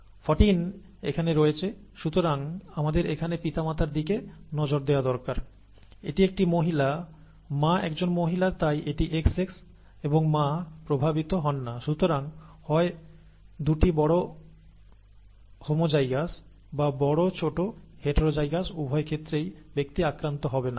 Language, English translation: Bengali, 14 is here, therefore we need to look at the parents here, this is a female, the mother is a female therefore its XX and the mother is not affected therefore either both capitals homozygous or capital small heterozygous in both cases the person will not be affected